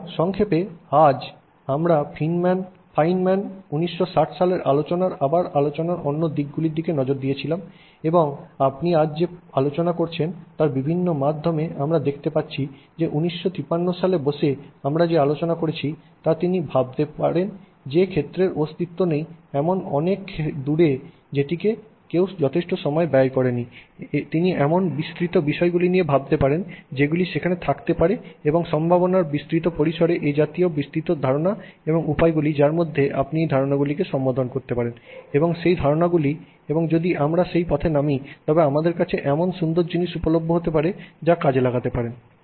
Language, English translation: Bengali, Okay highlights okay so in summary today we looked at the other aspects of the talk that fine man gave again it's a 1959 talk and you can see through what we discussed today a variety of issues he has highlighted where sitting in a 1959 he could think so far forward in a field that didn't exist in a field that nobody had spent enough time on he could think of such a wide range of issues that may be there and such a wide range of possibilities such a wide range of you know concepts and ways in which you can address those concepts and utilize those concepts and what beautiful things we might have available to us if we went down that path